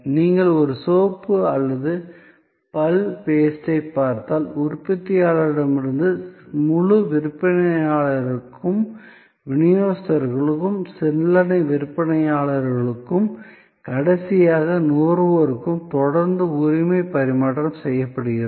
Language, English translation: Tamil, If you look at a soap or a tooth paste, there is a continuous transfer of ownership from the manufacturer to the whole seller to the distributor to the retailer and finally, to the consumer